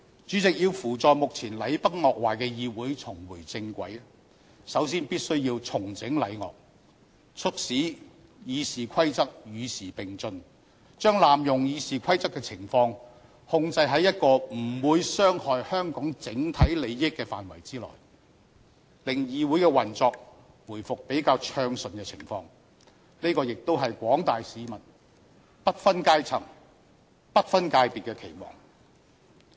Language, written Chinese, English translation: Cantonese, 主席，要扶助目前禮崩樂壞的議會重回正軌，首先必須重整禮樂，促使《議事規則》與時並進，把濫用《議事規則》的情況控制在不會傷害香港整體利益的範圍內，令議會的運作回復比較暢順的情況，這亦是廣大市民不分階層、不分界別的期望。, President the decorum of this Council is now in tatters; to put it back on the right track we must first restore the decorum and keep the Rules of Procedure up - to - date; we must reduce the abuse of the Rules of Procedure to a level that will not harm the overall interests of Hong Kong and restore the operation of this Council to a relatively smooth stage . This is the expectation of people from different echelons and backgrounds